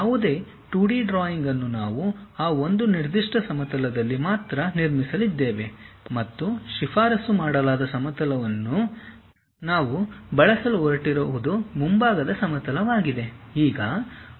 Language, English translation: Kannada, Any 2D drawing we are going to construct only on that one particular plane and the recommended plane what we are going to use is frontal plane